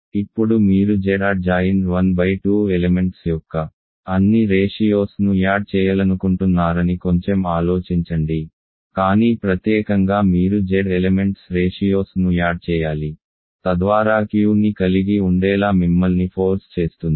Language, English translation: Telugu, Now you think about it a little bit you want to take add all ratios of elements of Z 1 by 2, but in particular you have to add ratios of elements of Z so that forces you to contain Q